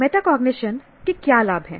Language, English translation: Hindi, Now, what are the benefits of metacognition